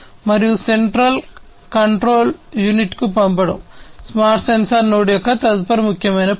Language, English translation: Telugu, And sending it to the central control unit is the next important function of a smart sensor node